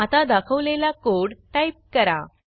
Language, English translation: Marathi, Now type the piece of code shown